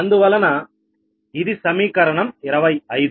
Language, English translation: Telugu, this is equation twenty nine